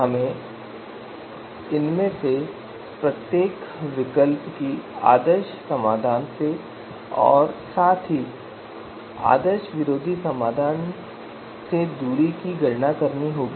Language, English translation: Hindi, We have to look we have to you know compute the distance of you know each of these alternatives from the ideal solution as well as the anti ideal solution